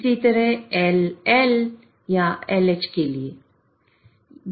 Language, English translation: Hindi, Similarly for LL or LH